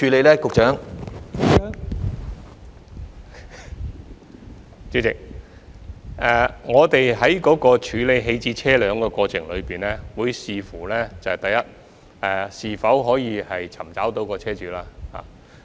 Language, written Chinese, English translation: Cantonese, 代理主席，我們在處理棄置車輛的過程中會視乎：第一，是否可以尋找到車主。, Deputy President in the process of disposing of the abandoned vehicle we will see first whether we can identify the vehicle owner